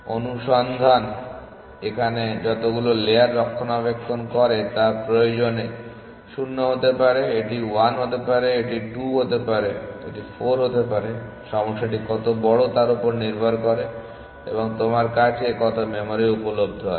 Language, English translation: Bengali, Search maintains as many layers as required it could be 0 it could be 1, it could be 2, it could be 4 depending on how big the problem is and how much memory is available to you